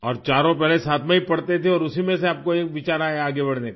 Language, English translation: Hindi, And all four used to study together earlier and from that you got an idea to move forward